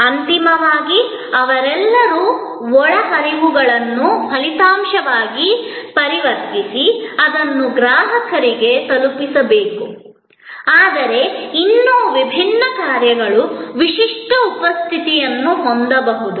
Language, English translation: Kannada, Ultimately, they all have to convert inputs into an output and deliver it to customer, but yet the different functions can have distinctive presence